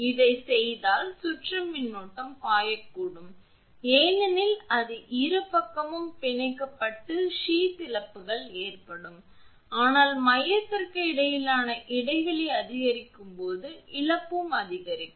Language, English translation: Tamil, If this is done circulating current can flow because it will get a path both side it is bonded and sheath losses occur, but as the spacing between the core increases the loss also increases